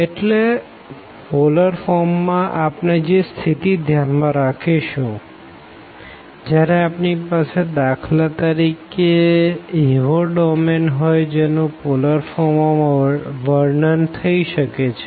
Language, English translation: Gujarati, So, the situations we will be considering for the polar form when we have for example the domain which can be described in polar form